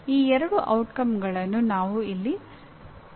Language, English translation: Kannada, These are the two outcomes that we will address here